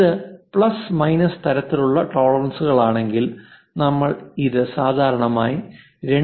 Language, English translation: Malayalam, If it is plus minus kind of tolerances we usually show it in terms of 2